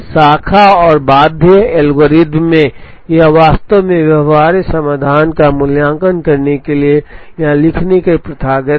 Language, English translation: Hindi, In Branch and Bound algorithm, it is customary to actually write here to evaluate the feasible solution